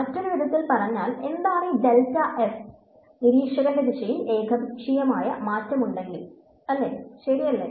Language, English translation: Malayalam, So, in other words what is this delta f; if there is some arbitrary change in the direction of the observer ok